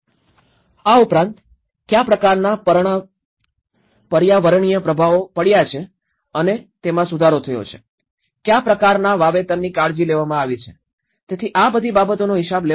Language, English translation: Gujarati, Also, what kind of environmental impacts and how it has been improved, what kind of plantations has been taken care of, so all these things will be accounted